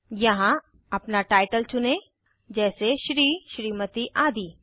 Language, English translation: Hindi, Here, select your title, like Shri, Smt etc